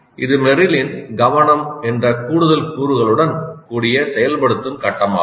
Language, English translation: Tamil, This is activation phase of Merrill with an additional component which is attention